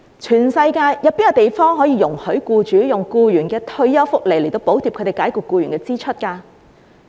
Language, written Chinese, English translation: Cantonese, 全世界有哪個地方容許僱主用僱員的退休福利來補貼他們解僱僱員的支出？, Are there any places in the world where employers are allowed to use employees retirement benefits to subsidize the expenses of dismissing them?